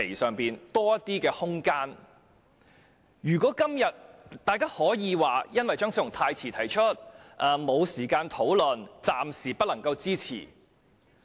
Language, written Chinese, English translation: Cantonese, 今天大家可以說由於張超雄議員的修正案太遲提出，未有時間討論，故暫時無法支持。, Today Members may say that having no time to discuss the amendment proposed by Dr Fernando CHEUNG in a belated manner they cannot support it at the moment